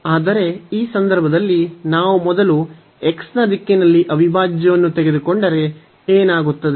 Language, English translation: Kannada, So, in this direction if we take the integral first in the direction of x what will happen